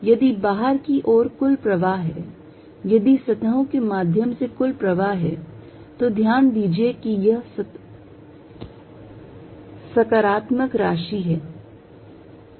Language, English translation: Hindi, If there is a net flow outside, if there is a net flow through the surfaces, notice that this is positive quantity